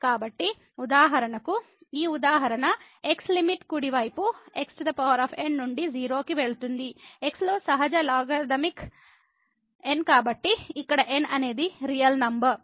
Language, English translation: Telugu, So, for instance we consider this example the limit goes to 0 from the right side power and the natural logarithmic so, here is a natural number